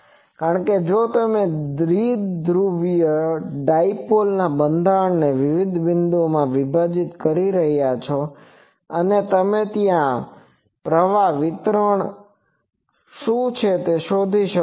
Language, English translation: Gujarati, Because, if you know this current distribution at various points; that means, you are dividing the whole dipole structure in various points and there you can find out what is the current distribution